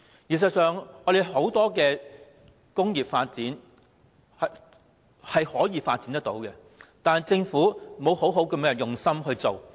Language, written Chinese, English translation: Cantonese, 事實上，香港確有很多工業可以發展，但政府卻沒有用心去做。, Hong Kong could have developed many different industries only that the Government has failed to promote their development with heart and soul